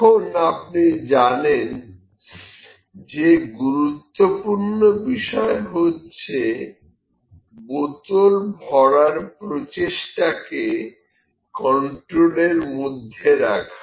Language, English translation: Bengali, Now, you know it the important aspect is the process is in control the process of filling the bottles is in control